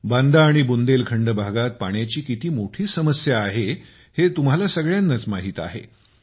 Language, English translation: Marathi, You too know that there have always been hardships regarding water in Banda and Bundelkhand regions